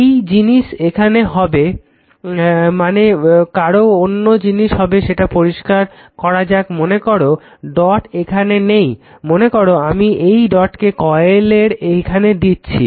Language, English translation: Bengali, Same thing will happen suppose another thing can happen let me clear it same thing suppose dot is not here suppose I put that dot here of this coil